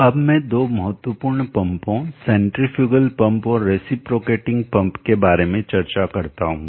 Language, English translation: Hindi, Let me discuss now important pump centrifugal pump and reciprocating pump